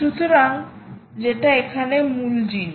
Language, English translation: Bengali, so thats the key thing here